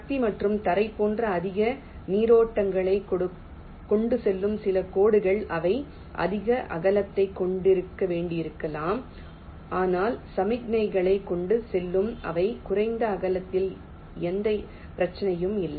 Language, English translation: Tamil, ok, some of the lines which carry higher currents, like power and ground, they may need to be of greater width, but the ones which are carrying signals, they may be of less width